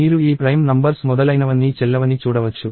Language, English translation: Telugu, You can see that, all these prime numbers and so on are invalid